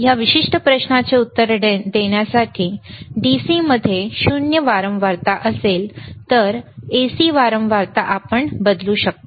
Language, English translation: Marathi, In a very crude way to answer this particular question, the DC would have 0 frequency while AC you can change the frequency